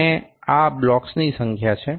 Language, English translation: Gujarati, And this is number of blocks